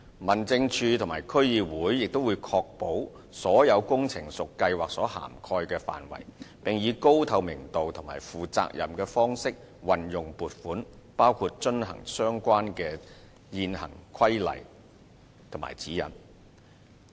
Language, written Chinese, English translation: Cantonese, 民政事務處和區議會也會確保所有工程屬計劃所涵蓋的範圍，並以高透明度及負責任的方式運用撥款，包括遵行相關的現行規例和指引。, District Offices DOs and DCs will also ensure that all the works are within the scope of the programme and utilize the funding in a highly transparent and responsible manner including compliance with the relevant existing regulations and guidelines